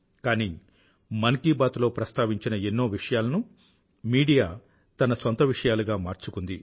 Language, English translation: Telugu, But many issues raised in Mann Ki Baat have been adopted by the media